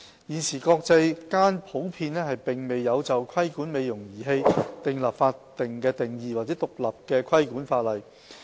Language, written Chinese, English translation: Cantonese, 現時國際間普遍沒有就規管"美容儀器"訂立法定定義或獨立的規管法例。, There is currently no statutory definition or separate regulatory legislation for cosmetic device in the international community